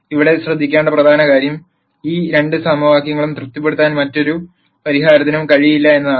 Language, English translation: Malayalam, The important thing to note here is, no other solution will be able to satisfy these two equations